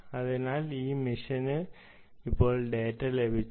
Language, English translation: Malayalam, so this machine has now receive the data